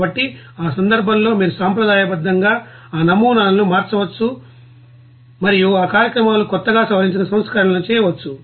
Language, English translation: Telugu, So, in that case, you can you know conventionally change that models and make a you know new you know modified versions of that programs